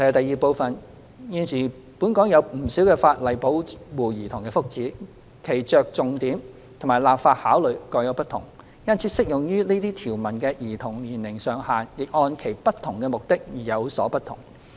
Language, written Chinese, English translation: Cantonese, 二現時本港有不少法例保護兒童的福祉，其着重點及立法考慮各有不同，因此適用於這些條文的兒童年齡上限也按其不同目的而有所不同。, 2 There are a number of existing laws in Hong Kong that protect the well - being of children . With different focuses and legislative considerations they have set different age ceilings for children under the applicable provisions according to different purposes of the relevant legislations